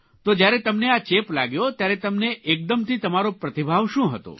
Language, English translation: Gujarati, So, when it happened to you, what was your immediate response